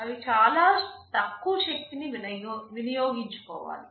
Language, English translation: Telugu, They need to consume very low power